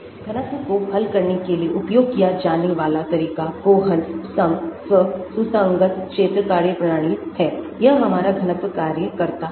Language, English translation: Hindi, the approach used to solve for the density is the Kohn Sham self consistent field methodology, this is our density function works